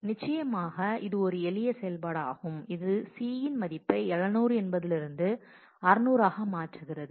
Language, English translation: Tamil, Of course, it is a simple operation which changes the value of c from 700 to 600